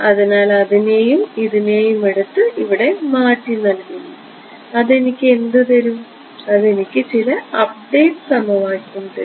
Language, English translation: Malayalam, So, I take this guy take this guy and substitute them here right and what will that give me, it will give me some update equation right